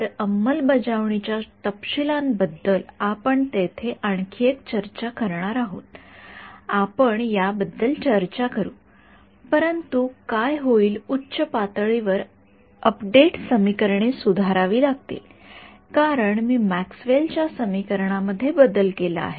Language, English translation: Marathi, So, we will have a another set of discussion on implementation details there we will talk about it, but at a high level what will happen is the update equations have to be modified because I have modified Maxwell’s equations